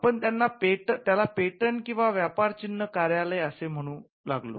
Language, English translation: Marathi, So, we it used to be called the patent and trademark office